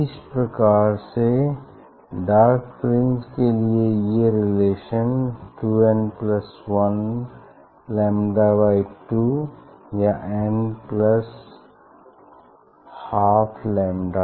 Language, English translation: Hindi, Similarly, for dark fringe, so this relation is 2 n plus 1 lambda by 2 or n plus half lambda